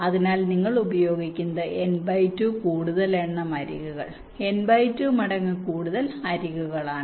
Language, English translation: Malayalam, so you are using means n by two, mode number of edge, n by two times mode edges